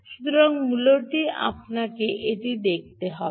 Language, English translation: Bengali, so essentially, what you have to do, you this